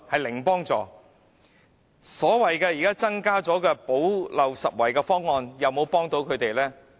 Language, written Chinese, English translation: Cantonese, 現時所謂新增的"補漏拾遺"方案能否幫助他們呢？, Can the present newly - introduced so - called gap - plugging proposal help them in any way?